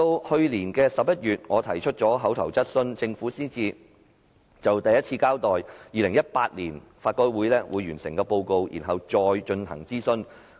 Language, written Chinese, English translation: Cantonese, 去年11月，我提出口頭質詢，政府才首次交代法改會將於2018年完成報告，然後進行諮詢。, It was not until I raised verbal enquiry in November last year that the Government made it clear that LRC would complete the report by 2018 and carry out consultation afterwards